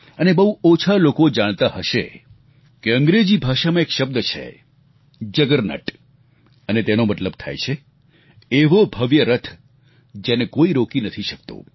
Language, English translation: Gujarati, But few would know that in English, there is a word, 'juggernaut' which means, a magnificent chariot, that is unstoppable